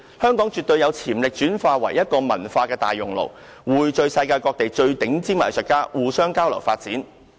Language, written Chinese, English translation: Cantonese, 香港絕對有潛力轉化為一個文化大熔爐，匯聚世界各地最頂尖的藝術家，互相交流啟發。, Hong Kong absolutely has the potential to transform itself into a cultural melting pot to bring together top - notch artists from around the world for exchanges and mutual enlightenment